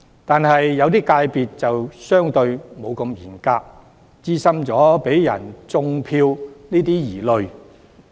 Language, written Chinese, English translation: Cantonese, 然而，某些界別則相對上沒那麼嚴格，因而產生有人"種票"的疑慮。, Notwithstanding this the requirements are relatively less stringent in some FCs and therefore it has given rise to misgivings about vote - rigging